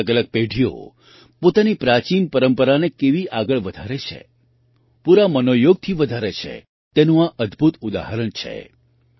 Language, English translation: Gujarati, This is a wonderful example of how different generations are carrying forward an ancient tradition, with full inner enthusiasm